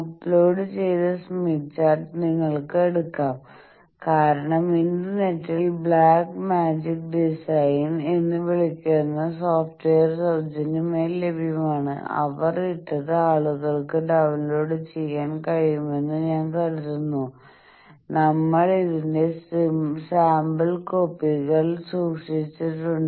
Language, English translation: Malayalam, You see in the uploaded smith chart you can take because there is software freely available in internet which is call black magic design, I think the people who have done that they have put you can download that also we have kept sample copies of this things in your extra material portion of this course